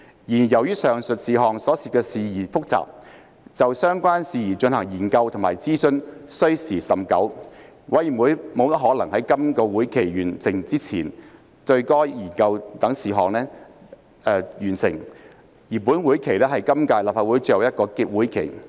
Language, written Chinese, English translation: Cantonese, 然而，由於上述事項所涉事宜複雜，就相關事宜進行研究及諮詢需時甚久，委員會不大可能在本會期內完成研究該等事項，而本會期是今屆立法會最後一個會期。, However as the issues involved in the above are complicated and require a lot of time for examination and consultation it is unlikely that the Committee can complete studying the issues in the current session which is the last session of the current term of the Legislative Council